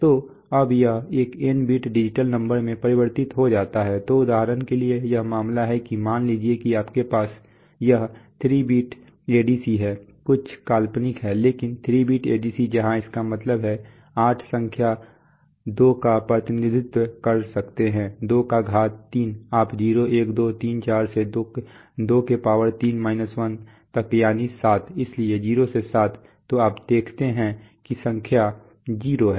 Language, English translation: Hindi, So now it gets converted to an N bit digital number right, so for example here is the case that suppose you have this is a 3 bit ADC right, some are hypothetical but 3 bit ADC where so which means, so with 3 bits you can represent eight numbers 2 to the power 3 right, from 0 1 2 3 4 up to 23 1 that is 7, so 0 to 7, so you see that the number 0